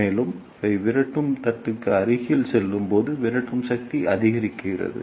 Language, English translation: Tamil, And as they go closer to the repeller plate, the repulsive force increases